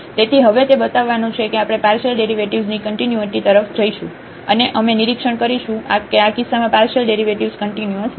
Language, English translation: Gujarati, So, what is now to show, that we will go to the continuity of the partial derivatives and we will observe that the partial derivatives are not continuous in this case